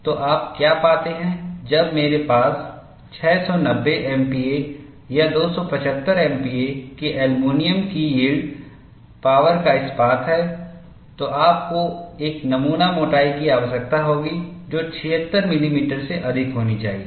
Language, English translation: Hindi, So, what you find is, when I have steel of yield strength of 690 MPa or aluminum of 275 MPa, you need a specimen, thickness should be greater than 76 millimeter